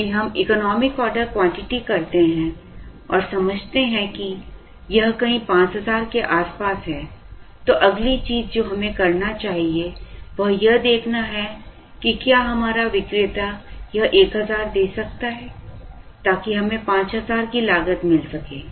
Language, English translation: Hindi, If we do the economic order quantity and understand that, it is somewhere near 5000, the next thing we need to do is to see, whether our vendor can give this 1000 so that, we get a cost of 5000